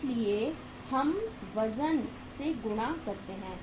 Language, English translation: Hindi, So we are multiplying by the weights